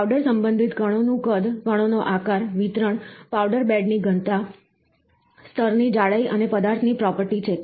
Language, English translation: Gujarati, Powder related particle size, particle shape, distribution, powder bed density, layer thickness and material property